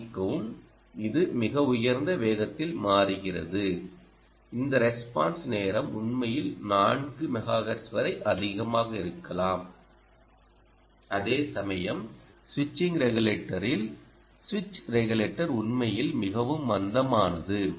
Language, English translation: Tamil, its switching at a quite a high ah and ah, its response time, indeed, is a has high, it can be as high as four megahertz, whereas ah, the switching regulator in the switching regulator, switching regulator, what about it